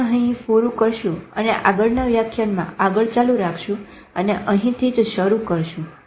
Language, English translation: Gujarati, We will end at this and maybe we will carry this forward to the next lecture and begin from this